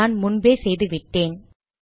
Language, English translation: Tamil, I have already done that